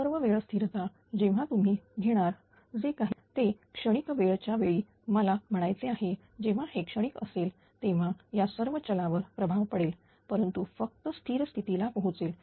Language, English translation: Marathi, So, all this time constant when you take other thing whatever they have during the transient during the transient time, I mean when this transient is there that all these para parameters have effect, but only reaches to a steady state